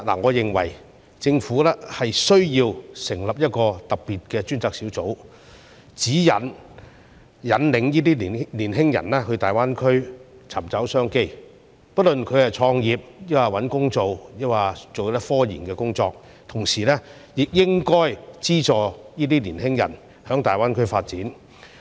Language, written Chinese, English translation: Cantonese, 我認為政府需要成立一個特別專責小組，指引和引導青年人到大灣區尋找商機，不論他們是創業、找工作，或是從事科研工作；同時，當局亦應資助青年人在大灣區發展。, I think the Government needs to set up a special task force to lead and guide young people to seek business opportunities in GBA whether they are starting their own businesses seeking employment or engaging in scientific researches . At the same time the authorities should subsidize the development of young people in GBA